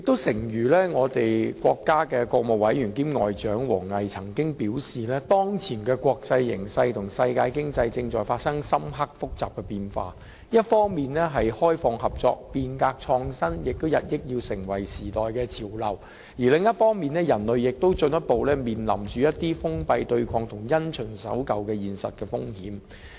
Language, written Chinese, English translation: Cantonese, 誠如國家國務委員兼外交部部長王毅曾經表示，當前的國際形勢和世界經濟正在發生深刻複雜的變化，一方面，開放合作、變革創新日益成為時代的潮流，另一方面，人類進步亦面臨封閉對抗和因循守舊的現實風險。, As rightly stated by State Councillor and Minister of Foreign Affairs WANG Yi the current international situation and the world economy are undergoing profound and complex changes . On the one hand open cooperation and change and innovation have increasingly become the trend of the times and on the other human progress is facing real risks posed by close - mindedness and confrontation and conformity to conventions and unwillingness to change